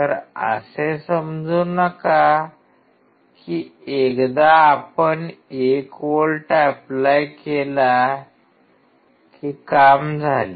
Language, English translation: Marathi, Do not just think that once you are applying 1 volt, it is done